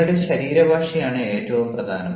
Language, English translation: Malayalam, now, what is your body language